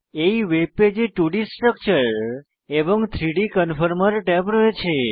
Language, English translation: Bengali, A new web page with 2D Structure and 3D Conformer tabs, is seen